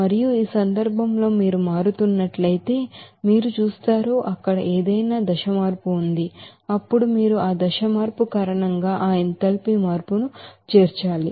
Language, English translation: Telugu, And in this case, if you are changing, you are seeing that, that is there any phase change there, then you have to include all that enthalpy change because of that phase change